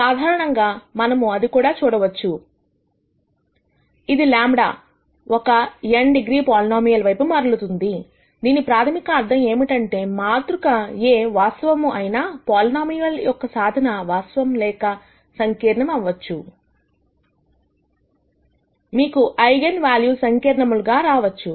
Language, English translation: Telugu, In general, we also saw that, this would turn out to be a polynomial of degree n in lambda, which basically means that even if this matrix A is real, because the solutions to a polynomial equation could be either real or complex, you could have eigenvalues that are complex